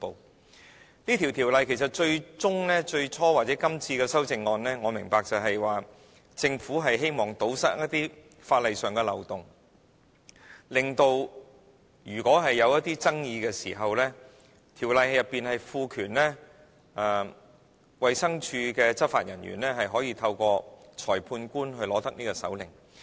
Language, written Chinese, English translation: Cantonese, 我明白這項《條例草案》其實最終、最初或者今次的修正案，是政府希望堵塞一些法例上的漏洞，令到如果出現爭議時，條例賦權衞生署的執法人員，可以透過裁判官取得搜查令。, I understand that the ultimate purpose of the Bill its original intent or the amendment this time around is to plug the legal loophole so as to authorize law enforcement agents of DH to obtain the search warrants from the magistrate by virtue of the Ordinance in case any controversy arises